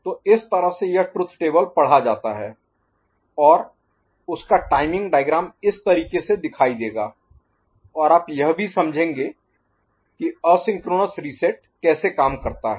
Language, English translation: Hindi, So, this is how to read the truth table and corresponding timing diagram would appear in this manner and also you understand how asynchronous reset works